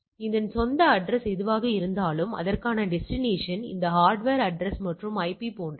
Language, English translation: Tamil, So, for it its own address becomes the whatever the address and the destination for it the destination becomes this hardware address and the IP etcetera